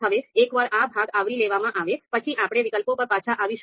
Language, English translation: Gujarati, Now once this part is covered, then we will come back to the alternatives